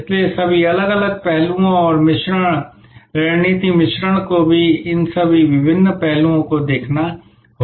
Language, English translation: Hindi, So, all the different aspects and the mix, the strategy mix will have to also therefore, look at all these different aspects